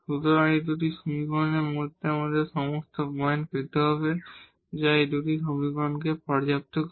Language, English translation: Bengali, So, out of these 2 equations we need to get all the points which satisfy these 2 equations